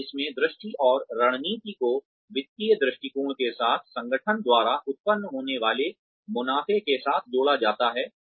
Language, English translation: Hindi, And in this, the vision and strategy is aligned with, the financial perspective, with the profits being generated, by the organization